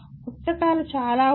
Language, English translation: Telugu, There are lots of books